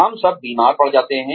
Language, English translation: Hindi, We all fall sick